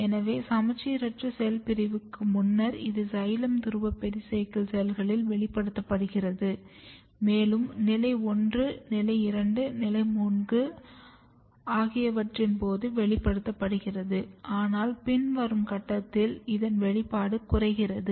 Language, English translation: Tamil, So, you can see before asymmetric cell division it is expressed in the in the xylem pole pericycle cells, then during stage 1 stage 2 stage 3, but at very later stage the expression level is going down cross section also proves the same thing